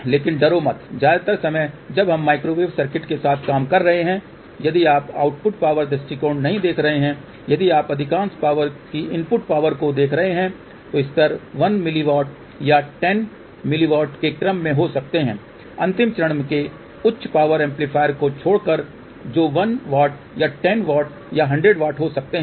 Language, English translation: Hindi, But do not be afraid most of the time when we are dealing with the microwave circuits if you are not looking at the output power sight if you are looking at the input power most of the power levels may be of the order of 1 milliwatt or even 10 milliwatt, except at the last stage high power amplifier which can be 1 watt or 10 watt or 100 watt